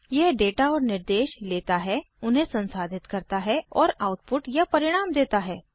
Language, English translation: Hindi, It takes data and instructions, processes them and gives the output or results